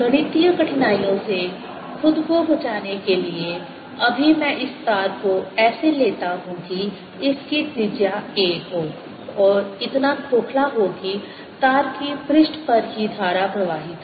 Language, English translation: Hindi, to save myself from mathematical difficulties right now, i take this wire to be such that it has a radius a and is hollow, so that the current flows only on the surface of the wire